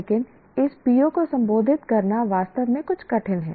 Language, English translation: Hindi, But to address this PO is really somewhat difficult